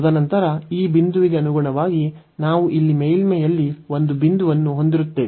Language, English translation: Kannada, And then corresponding to this point, we will have a point there in the on the surface here